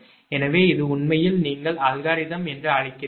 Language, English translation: Tamil, right, so this is actually your what you call algorithm